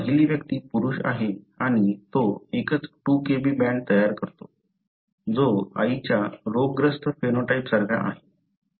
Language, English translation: Marathi, So, the first individual is a male and it, it generates a single 2 Kb band, which is similar to the diseased phenotype of the mother